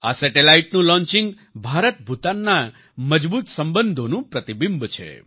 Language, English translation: Gujarati, The launching of this satellite is a reflection of the strong IndoBhutan relations